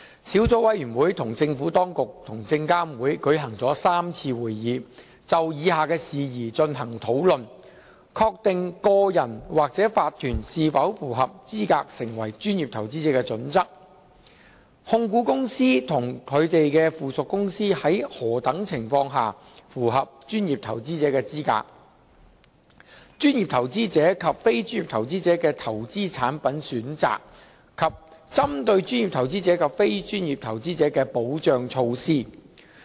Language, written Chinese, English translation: Cantonese, 小組委員會與政府當局及證監會舉行了3次會議，就以下事宜進行討論： a 確定個人或法團是否符合資格成為專業投資者的準則； b 控股公司及他們的附屬公司在何等情況下符合專業投資者的資格； c 專業投資者及非專業投資者的投資產品選擇；及 d 針對專業投資者及非專業投資者的保障措施。, The Subcommittee has held three meetings with the Administration and SFC to discuss the following issues a ascertaining the criteria for an individual or a corporation to qualify as a professional investor; b the circumstances under which holding companies and their subsidiaries qualify as professional investors; c the choice of investment products available to professional and non - professional investors; and d protective measures tailored to professional investors and non - professional investors